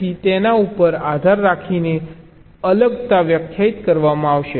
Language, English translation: Gujarati, so depending on them, the separation will be defined